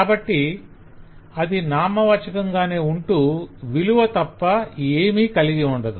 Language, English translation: Telugu, so you will expect it to appear as a noun but not have anything other than a value